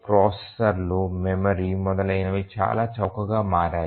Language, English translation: Telugu, The processors, memory etcetera have become very cheap